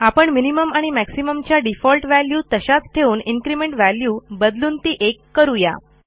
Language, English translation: Marathi, We will leave the minimum and maximum default value and change the increment to 1